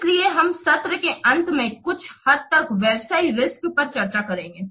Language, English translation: Hindi, So, we will discuss the business risks somewhat towards the end of the session